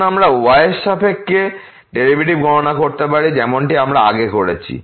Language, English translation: Bengali, Now, we can also compute the derivative with respect to like we have done before